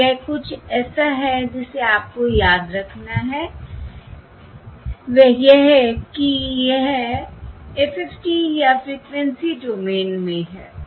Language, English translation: Hindi, all right, So this is something that you have to remember, that is, this is in the FFT or in the frequency domain